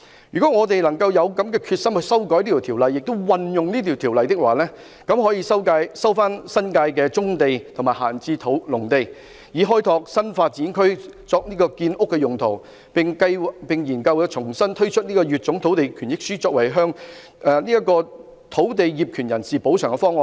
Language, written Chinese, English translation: Cantonese, 如果我們有決心修改及運用《條例》，便可以收回新界的棕地和閒置農地，以開拓新發展區作建屋用途，並研究重新推出乙種換地權益書，作為向土地業權人補償的方案。, If we are determined to amend and invoke the Ordinance brownfield sites and vacant agricultural land can be resumed for creating new development areas for housing . The authorities may also examine the reintroduction of the Letter B as a compensation proposal to land owners